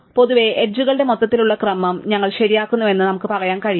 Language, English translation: Malayalam, So, in general we could say that we fix some overall ordering of the edges